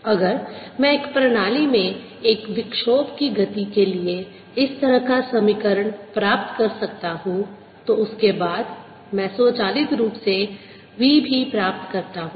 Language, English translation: Hindi, if i can get for the motion of a disturbance in a system an equation like that, then i automatically get v also latest